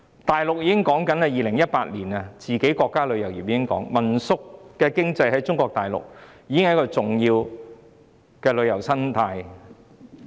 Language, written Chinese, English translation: Cantonese, 大陸在2018年已經說民宿經濟是中國大陸國家旅遊業的重要生態。, Back in 2018 the Mainland authorities already said that the homestay economy would be an important ecosystem for the national tourism industry of Mainland China